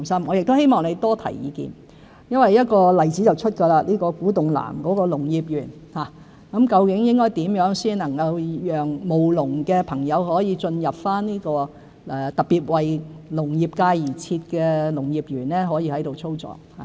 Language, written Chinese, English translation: Cantonese, 我亦希望何議員多提意見，例如就在古洞南的農業園，應該怎樣讓務農的朋友進入這個特別為農業界而設的農業園，並在該處操作。, Mr HO can be rest assured in this regard . I also hope that Mr HO can give us more suggestions for example on how we should admit members of the agriculture sector to the Agricultural Park in Kwu Tung South designed particularly for the agriculture sector